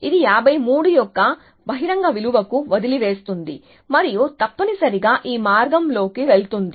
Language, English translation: Telugu, So, it leaves it to the open value of 53 and goes down this path essentially